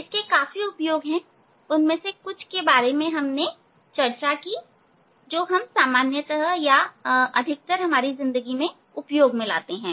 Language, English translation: Hindi, There are many applications, but few of them I have discussed which we are frequently used in our daily life